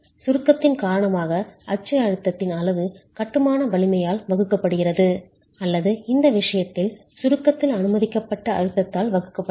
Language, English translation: Tamil, The level of axial stress due to compression divided by the strength of masonry or in this case the permissible stress and compression